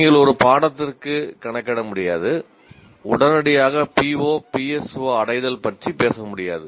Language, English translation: Tamil, You cannot just compute for one course and say, immediately talk about the PO, PSO, attainment